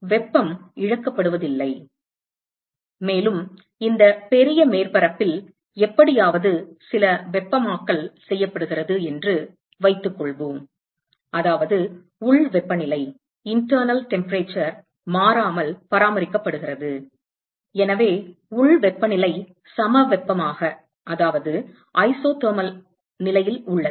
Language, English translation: Tamil, There is no heat that is being lost and let us also assume that there is somehow some heating is done to this large surface, such that the internal temperature is maintained constant, so, internal temperature is isothermal